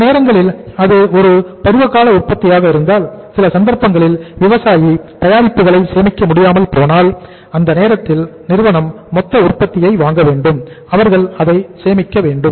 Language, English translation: Tamil, Or sometimes if it is a seasonal product so if it is a seasonal product so in some cases if the farmer is unable to store the product company has to buy the total product at the time of the season and they have to store it